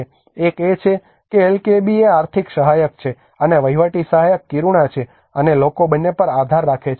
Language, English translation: Gujarati, One is LKAB is the financial support for that, and the administrative support is the Kiruna, and the people relying on both